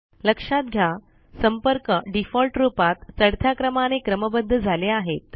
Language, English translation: Marathi, Notice, that the contacts are sorted in the ascending order, by default